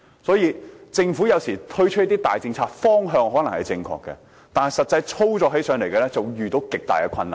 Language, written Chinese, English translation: Cantonese, 所以政府有時候推出大政策，方向可能正確，但實際操作起來便會遇到極大困難。, This explains why some major government policies though in the right direction have faced tremendous difficulties in their actual operation